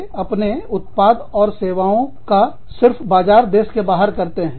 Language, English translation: Hindi, They just market their products and services, outside of the home country